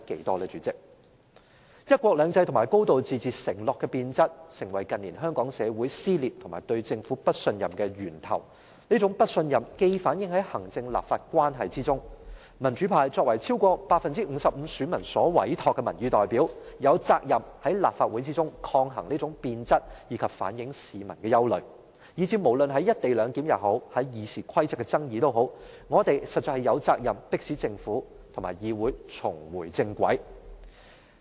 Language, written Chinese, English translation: Cantonese, 代理主席，"一國兩制"和"高度自治"承諾的變質成為近年香港社會撕裂和對政府不信任的源頭，這種不信任既反映在行政立法關係中，民主派作為超過 55% 選民所委託的民意代表，有責任在立法會內抗衡這種變質，以及反映市民的憂慮，以至無論是"一地兩檢"和《議事規則》的爭議，我們實在有責任迫使政府和議會重回正軌。, Deputy President the degeneration of the undertakings concerning one country two systems and a high degree of autonomy has become the source of social dissension and distrust of the Government in Hong Kong . This kind of distrust is also reflected in the relations between the executive authorities and the legislature . Members from the democratic camp being entrusted by over 55 % of the electors to represent public opinions should be responsible to resist this kind of degeneration and reflect public worries in the Legislative Council